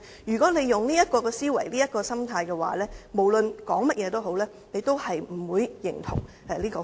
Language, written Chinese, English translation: Cantonese, 如果他抱持這種思維和心態，無論我們說甚麼，他也不會認同《條例草案》。, If he has this kind of thinking and attitude he will not endorse the Bill regardless of what we say